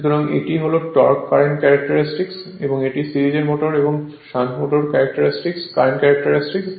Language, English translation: Bengali, So, this is the torque current character, your current characteristics of your series motor and shunt motor